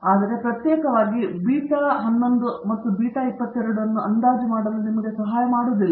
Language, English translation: Kannada, But, it doesn’t help you to estimate individually beta 11 and beta 22